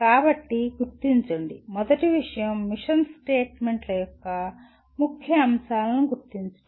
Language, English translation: Telugu, So identify, first thing is identify the key elements of mission statements